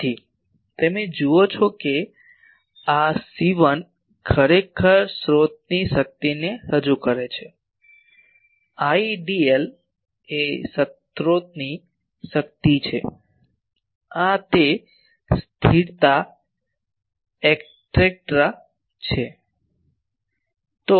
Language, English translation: Gujarati, So, you see this C1 actually represents the source strength Idl is the strength of the source these are the constants etcetera